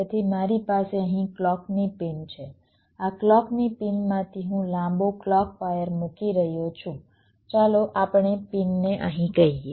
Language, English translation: Gujarati, from this clock pin i am laying out a long clock wire, lets say to a pin out here